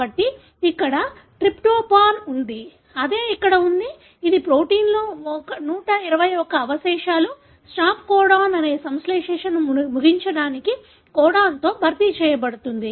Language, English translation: Telugu, So here there is tryptophan, that is what is present here which is the residue 121 in the protein is replaced by a codon for terminating the synthesis that is the stop codon